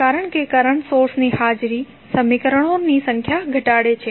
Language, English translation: Gujarati, Because the presence of the current source reduces the number of equations